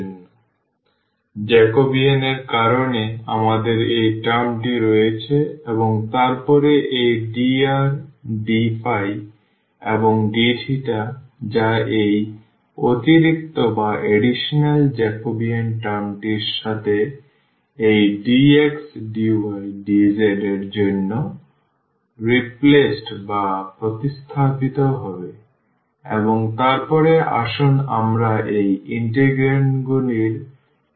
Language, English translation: Bengali, So, we have this term because of the Jacobian and then this dr d phi and d theta which will be replaced for this dx dy dz with this extra Jacobian term and then the first let us discuss these integrands